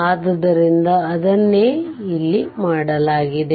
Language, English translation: Kannada, So, that is what has been done here